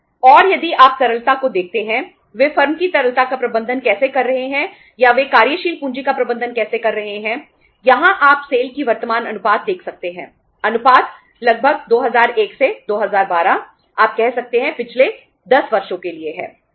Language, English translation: Hindi, And if you see the liquidity how they are managing the liquidity of the firm or how they are managing the working capital here you can see that the current ratio of the SAIL from the, ratios are somewhere from 2001 to 2012 for the past 10 years you can say